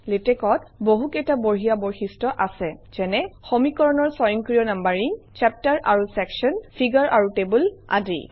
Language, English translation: Assamese, Latex has outstanding features, such as, automatic numbering of equations, chapters and sections, figures and tables